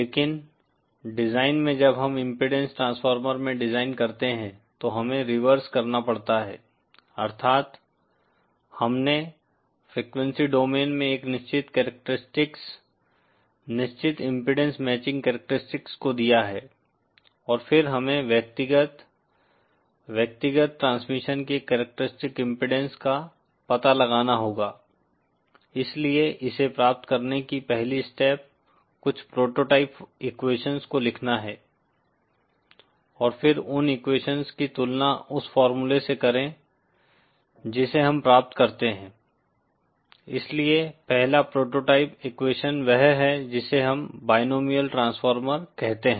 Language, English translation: Hindi, But in design when we are into design in impedance transformer we have to do the reverse that is we have given a certain characteristics, certain impedance matching characteristics in the frequency domain and then we have to find out the individual, the characteristic impedance of individual transmissions, so the first step into achieving this is to write down certain prototype equations and then compare those equations with the formula that we derive, so the first prototype equation is that of what we call binomial transformer